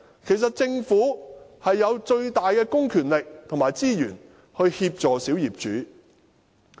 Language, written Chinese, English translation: Cantonese, 其實，政府擁有最大的公權力和資源，可以協助小業主。, As a matter of fact holding the greatest public powers and the largest amount of resources the Government can help the minority owners